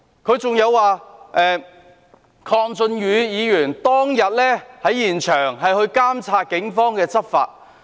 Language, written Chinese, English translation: Cantonese, 他亦提到，鄺俊宇議員當天在現場監察警方的執法。, He also mentioned that Mr KWONG Chun - yu was monitoring law enforcement by the Police at the scene on that day